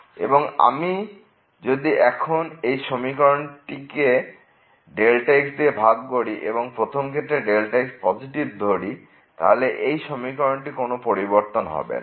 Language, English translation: Bengali, And, now if I divide this expression here by and if I in the first case I take as positive, then the sign of this expression will not change